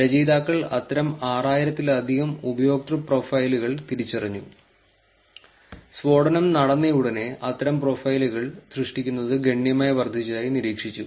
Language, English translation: Malayalam, The authors identified over 6,000 such user profiles we observed that the creation of such profiles surged considerably right after the blast occurred